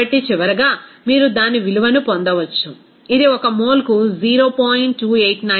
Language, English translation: Telugu, So, finally, you can get it what will be the value, it is 0